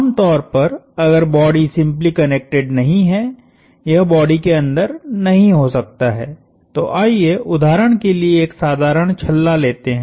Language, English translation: Hindi, Typically, it may not be inside the body, if the body is not simply connected let us take for example, a simple hoop